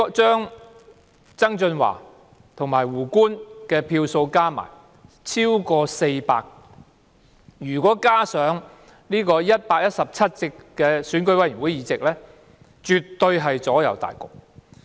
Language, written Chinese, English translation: Cantonese, 曾俊華和"胡官"的票數加起來超過400票，如果加上117席區議會選委會議席，絕對能夠左右大局。, The number of votes for John TSANG together with WOO Kwok - hing was over 400 votes in total and thus the addition of 117 votes from DC members in EC could certainly sway the result